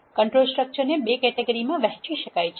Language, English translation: Gujarati, Control structures can be divided into 2 categories